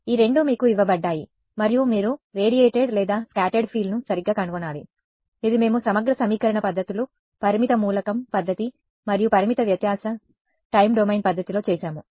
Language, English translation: Telugu, These two are given to you and you have to find the radiated or scattered field right; this is what we did in integral equation methods, finite element method and finite difference time domain method right